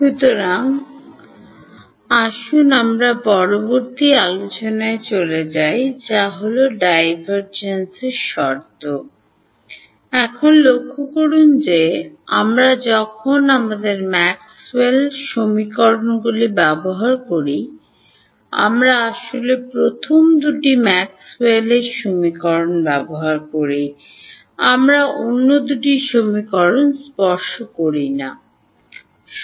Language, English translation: Bengali, So, let us move to the next discussion which is what Divergence Conditions, now notice that when we use our Maxwell’s equations we actually use only the first two Maxwell’s equation, we do not touch the other two equations